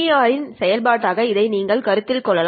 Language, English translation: Tamil, Considering this as a function of the BER, this is what you normally get